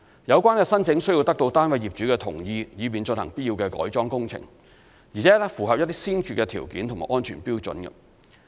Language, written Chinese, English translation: Cantonese, 有關申請須得到單位業主同意，以便進行必要的改裝工程，而且符合一些先決條件及安全標準。, The applications must be approved by the flat owners so that necessary alteration works can be carried out . Certain preconditions and safety standards must be met